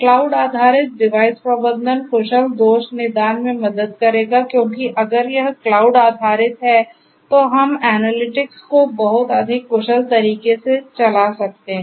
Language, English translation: Hindi, Cloud based device management will help in efficient fault diagnostics because if it is cloud based then we are going to run the analytics in a much more efficient manner right